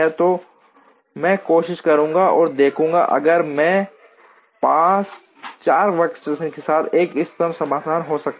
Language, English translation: Hindi, So, I will try and see, if I can have an optimum solution with 4 workstations